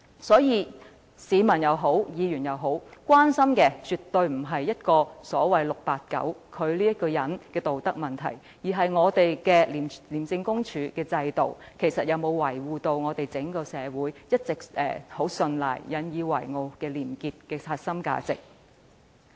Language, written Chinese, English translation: Cantonese, 所以，無論是市民或議員，所關心的絕對不是 "689" 此人的道德問題，而是本港的廉政制度，能否維護廉潔此一整個社會一直十分信賴並引以自豪的核心價值。, Hence what Hong Kong people and Members are concerned about is absolutely not the personal ethical problem of 689 but the system integrity of Hong Kong and whether we can safeguard the core values of honesty and integrity which the whole society has always been relying on and proud of